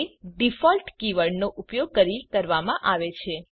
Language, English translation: Gujarati, That is done by using the default keyword